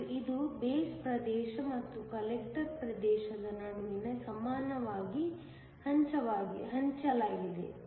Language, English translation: Kannada, And this is equally shared between the base region and the collector region